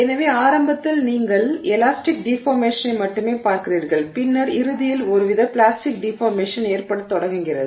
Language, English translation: Tamil, So, initially you are only seeing elastic deformation and then eventually there is some form of plastic deformation that's beginning to happen